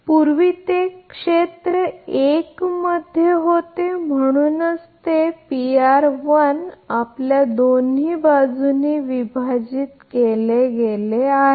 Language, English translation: Marathi, Previous one that it was in area one that is why it was divided by your P r 1 both side